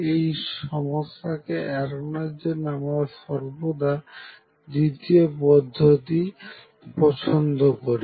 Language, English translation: Bengali, To avoid this we always prefer to use the second method